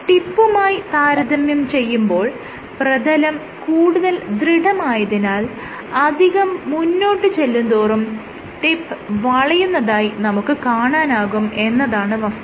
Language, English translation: Malayalam, So, because the surface is stiffer than the tip, so when you try to go any further it is the tip itself which is getting bend